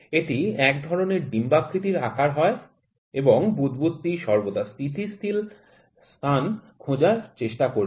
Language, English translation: Bengali, It is a kind of an oval shape, and the bubble would always try to find the stable space